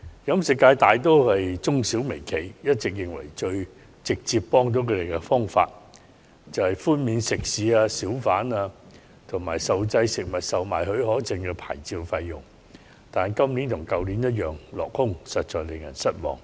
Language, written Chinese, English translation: Cantonese, 飲食界大多數都是中小微企，他們一直認為最直接有效的幫助，就是寬免食肆、小販，以及受限制食物售賣許可證的牌照費用，但今年與去年我們同樣希望落空，實在使人失望。, The catering industry comprises mostly SMEs and micro businesses . For these companies the most direct and effective assistance is a waiver of licence fees for restaurants and hawkers and fees for restricted food permits . Such hopes however have been belied to our disappointment this year like the last years